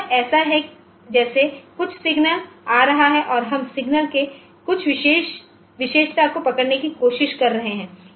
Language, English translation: Hindi, So, it is like the some signal is coming so we are trying to capture some feature of the signal